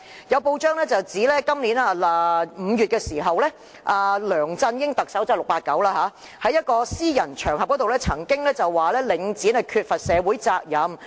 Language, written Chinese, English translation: Cantonese, 有報道指今年5月，特首梁振英——即 "689"—— 曾在一個私人場合中表示領展缺乏社會責任。, It has been reported that in May this year Chief Executive LEUNG Chun - ying―also known as 689―indicated on a private occasion that Link REIT did not fulfil its social responsibility